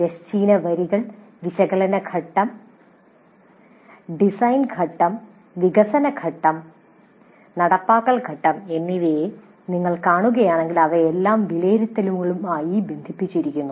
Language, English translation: Malayalam, If you see the horizontal rows, analysis phase, design phase, development phase as well as implement phase, they are all linked to evaluate